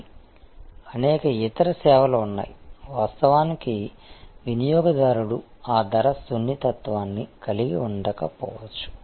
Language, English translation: Telugu, But, there are many other services, where actually customer may not have that price sensitivity